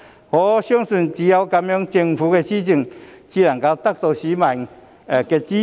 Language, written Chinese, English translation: Cantonese, 我相信只有這樣，政府的施政才能夠得到市民的支持。, I believe only in this way will the governance of the Government secure the support of members of the public